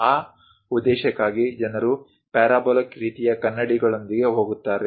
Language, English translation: Kannada, For that purpose also people go with parabolic kind of mirrors